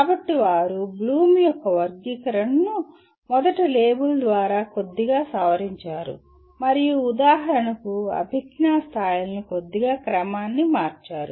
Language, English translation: Telugu, So they have slightly revised the Bloom’s taxonomy first of all by label and slightly reordered the cognitive levels for example